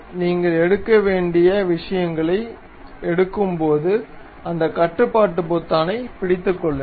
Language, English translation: Tamil, So, when you are picking the things you have to make keep hold of that control button